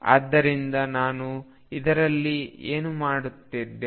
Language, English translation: Kannada, So, what have I done in this